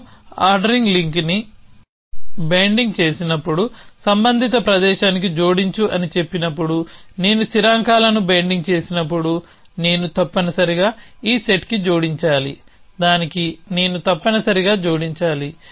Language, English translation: Telugu, So, when I say add added to the relevant place when I binding ordering link I must added to this set when I binding constants I must added to that is set an so on